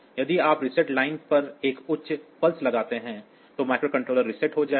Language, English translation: Hindi, it will be a reset; so, if you apply a high pulse to the reset line then the micro controller will reset